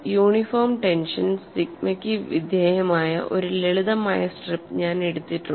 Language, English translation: Malayalam, I have taken a simple strip subjected to uniform tension sigma and there is no crack in this